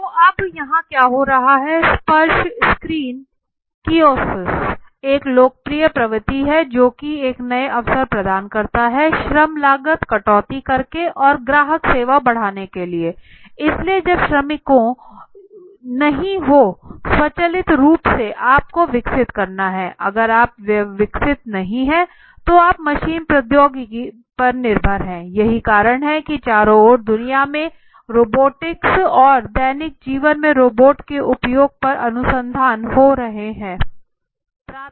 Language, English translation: Hindi, So now what is happening here touch screen kiosks is being a popular trend that provides a new avenue to cut labor cost and increasing customer service, so when workers would not be there automatically you have to develop you know not develop you have to depend more on the machine the technology right maybe that is one reason you must have seen around the world there is a huge up search in research in robotics and use of robots as in even daily life okay